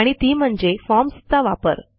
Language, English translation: Marathi, And that, is by using Forms